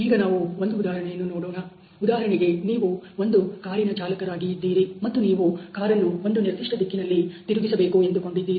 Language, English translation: Kannada, So, let us look at the example for example, you are car driver, and you want to turn the car to the certain direction